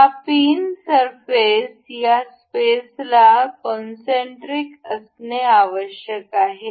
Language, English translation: Marathi, And this pin surface has to be concentric concentric with this space